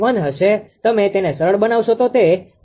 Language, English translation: Gujarati, 1 and you simplify it will become 0